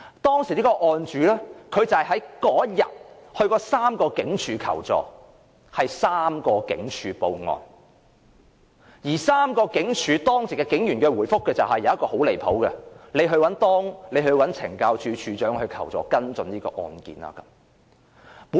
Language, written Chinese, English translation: Cantonese, 當時的案主在當天曾到3間警署求助，是3間警署報案，而3間警署當值警員的回覆中，其中一個很過分，就是叫他找懲教署署長求助，跟進這宗案件。, He visited three stations to ask for assistance . Among the replies given to me by duty police officers in the three stations one reply was utterly unreasonable . The officer went so far as to urge the complainant to seek help from the Commissioner and ask him to follow up the case